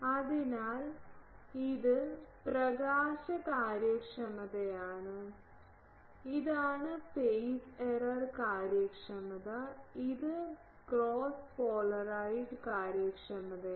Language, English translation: Malayalam, So, this is illumination efficiency, this is phase error efficiency, this is cross polarised efficiency